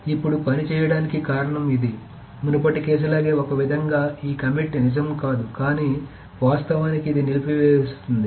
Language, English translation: Telugu, Now the reason this works is that suppose that's like the previous case somehow this commit is not true but this actually aborts